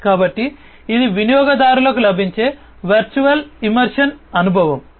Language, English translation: Telugu, So, it is a virtual immersion kind of experience that the user gets